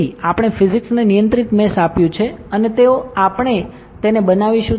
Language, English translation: Gujarati, So, we have given physics controlled mesh and they, we will build it